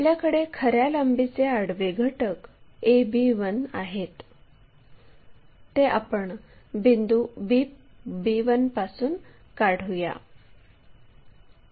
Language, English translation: Marathi, Once, we have that a horizontal component of true length a b 1 we are going to draw from point b 1